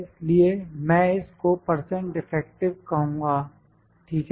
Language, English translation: Hindi, So, I will call it percent defective, ok